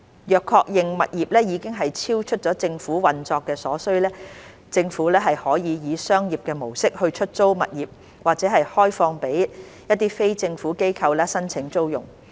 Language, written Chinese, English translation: Cantonese, 若確認物業已經超出政府運作所需，政府可以商業模式出租物業或開放予非政府機構申請租用。, If it is confirmed that a property is surplus to the operational needs of the Government it may be leased out through a commercial approach or open for leasing application by non - governmental organizations NGOs